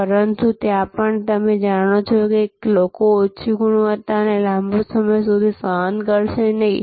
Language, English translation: Gujarati, But, even there you know people will not tolerate low quality for long